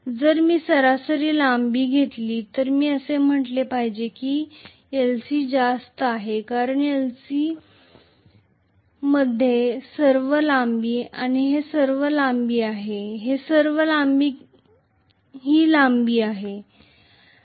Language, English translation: Marathi, If I take the average length I should say l c is higher because l c consists of all this length and all this length and all this length and this length as well